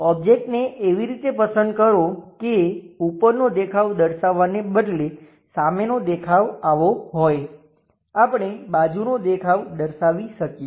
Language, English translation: Gujarati, Pick the object in such a way that front view will be this one instead of showing top view; we could have shown side view